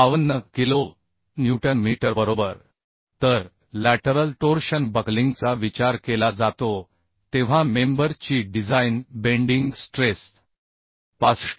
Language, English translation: Marathi, 52 kilo newton meter right So the design bending strength of the member when lateral torsional buckling is consider is 65